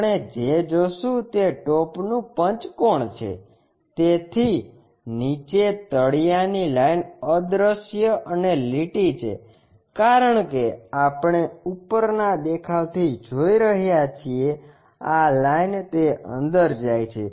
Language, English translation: Gujarati, What we will see is the top pentagon; bottom one is anyway invisible and the line because we are looking from top view this line goes inside of that